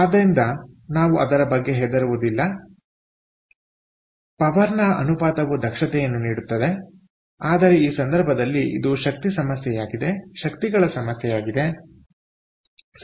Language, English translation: Kannada, so the ratio of the power gives the efficiency, but in this case it is an issue of energies, right